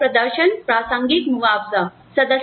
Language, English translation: Hindi, So, that is performance contingent compensation